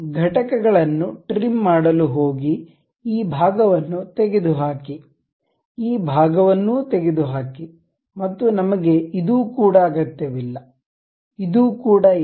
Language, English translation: Kannada, Go to trim entities, remove this part, remove this part and also we do not really require this one also, this one